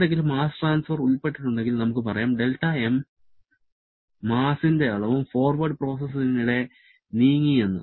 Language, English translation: Malayalam, If there is any mass transfer involved, let us say del m amount of mass also moved in during the forward process